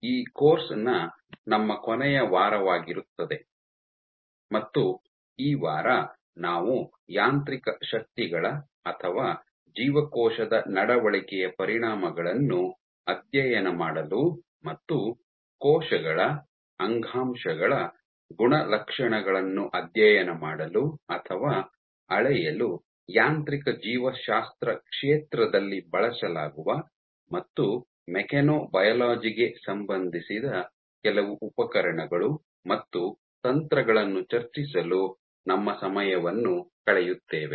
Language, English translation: Kannada, So, this would be our last week of this course and this week we will spend our time discussing some of the tools and techniques that are used in the field of mechanobiology, for studying the effects of physical forces or cell behaviour and studying or measuring properties of cells, tissues relevant to mechanobiology